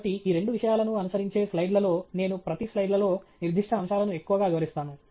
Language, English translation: Telugu, So, in the slides that follow both these points I will touch up on and highlight specific aspects in each of those slides